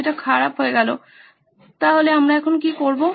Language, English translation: Bengali, It’s bad, so what do we do now